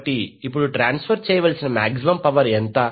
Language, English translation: Telugu, So, now what would be the maximum power to be transferred